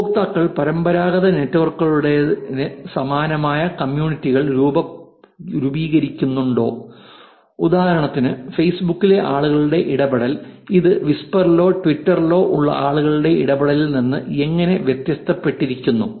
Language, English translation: Malayalam, Do users form communities similar to those in traditional networks, like for example people interaction on facebook, how is this different from people interactions on whisper or twitter